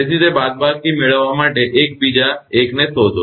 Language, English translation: Gujarati, So, find out 1 another 1 to get that subtract from 2